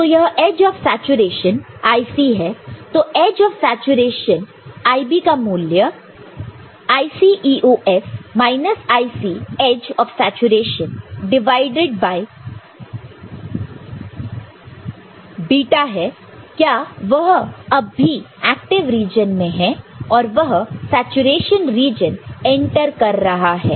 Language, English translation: Hindi, So, edge of saturation IB is what this IC IC edge of saturation divided by β because, it is still in active region it just entering the saturation region